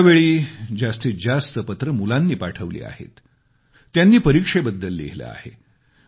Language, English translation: Marathi, This time, maximum number of letters are from children who have written about exams